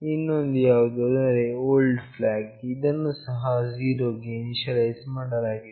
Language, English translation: Kannada, Another is old flag, which is also initialized to 0